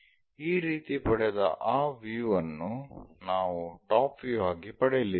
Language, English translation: Kannada, This is what we are going to get on that view as top view